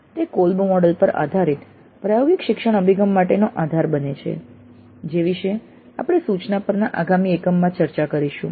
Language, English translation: Gujarati, They become the basis for experiential learning approach based on the call model which we will be discussing in the next module on instruction